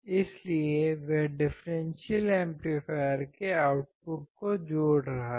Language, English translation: Hindi, So he is connecting to the output of the differential amplifier